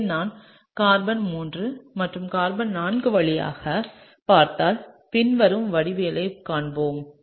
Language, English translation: Tamil, So, if I look through carbon 3 and carbon 4, then I will see the following geometry